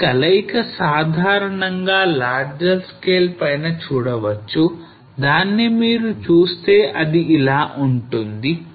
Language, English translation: Telugu, So this is in combination usually been seen on the larger scale if you look at you will find something like this